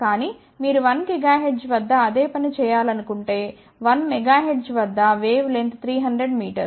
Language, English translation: Telugu, But if you want to do the same thing at 1 megahertz, at 1 megahertz wavelength will be 300 meter